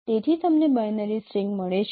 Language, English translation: Gujarati, So you get a binary string